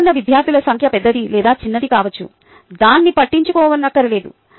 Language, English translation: Telugu, the number of students involved can be either large or small, it doesnt matter